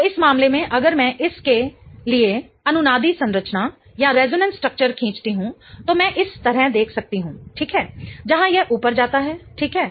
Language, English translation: Hindi, So, in this case, if I draw the resonance structure for this one, I can draw looking like this right right, wherein this goes up, right